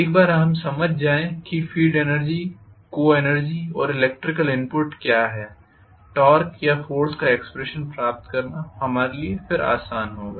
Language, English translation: Hindi, Once we understand field energy, coenergy and what is the electrical input it will be easy for us to derive the expression for the torque or force